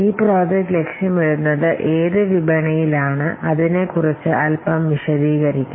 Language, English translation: Malayalam, So, this project is aimed at which market, a little bit of that